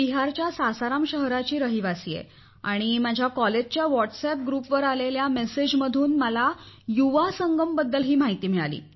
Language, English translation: Marathi, I am a resident of Sasaram city of Bihar and I came to know about Yuva Sangam first through a message of my college WhatsApp group